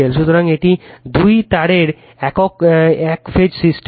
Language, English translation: Bengali, So, this is two wire single phase system